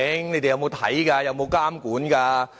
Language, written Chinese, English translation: Cantonese, 你們有沒有看、有沒有監管？, Have you paid any inspection visit? . Have you monitored the authorities work?